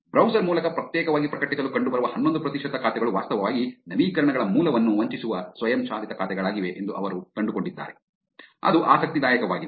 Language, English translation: Kannada, They also found that the 11 percent of accounts that appear to publish exclusively through the browser are in fact, they are automated accounts that spoof the source of the updates, that is also interesting right